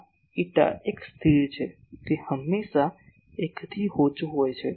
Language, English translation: Gujarati, This eta is a constant it is always less than 1